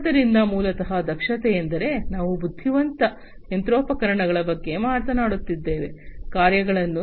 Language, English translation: Kannada, So, basically efficiency means like, we are talking about intelligent machinery, performing things efficiently